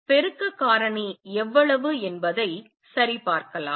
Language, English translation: Tamil, And how much is the amplification factor let us check that